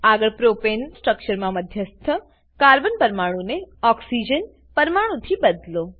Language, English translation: Gujarati, Next lets replace the central Carbon atom in Propane structure with Oxygen atom